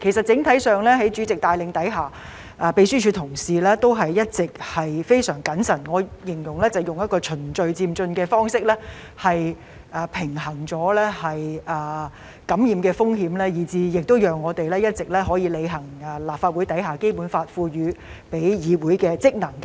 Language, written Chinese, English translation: Cantonese, 整體上，在主席的帶領下，秘書處同事均一直非常謹慎，我會形容為以循序漸進的方式來平衡感染風險，讓我們可以一直履行《基本法》賦予立法會的職能。, In general under the leadership of the President colleagues of the Secretariat have been very cautious in balancing the risks of infection by adopting an approach which I would describe as progressive and orderly so that we can continue to perform the functions of the Legislative Council conferred by the Basic Law